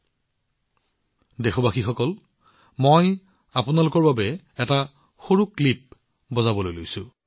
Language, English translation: Assamese, Dear countrymen, I am going to play a small clip for you…